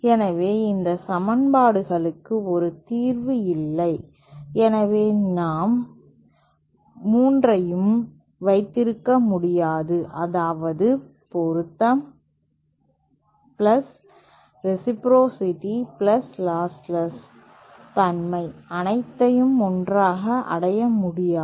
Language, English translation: Tamil, So these equations do not have a solution, so therefore we cannot have all the 3, that is matching + reciprocity + losslessness, all together cannot achieve